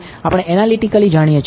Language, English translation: Gujarati, That we know analytically